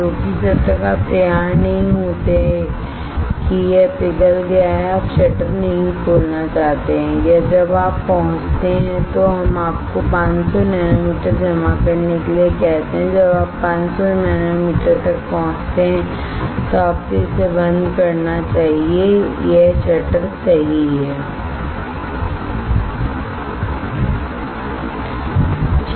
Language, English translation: Hindi, Because until you are ready that this has been melted you do not want to open the shutter or when you reach let us say you one to deposit 500 nanometer when you reach 500 nanometer this shutter you should close it this is shutter right